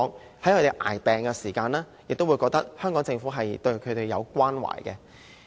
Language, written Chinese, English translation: Cantonese, 那麼，他們在捱病的時候，也會感覺到香港政府對他們的關懷。, In this way they can feel the Hong Kong Governments care during the hard time of their ill health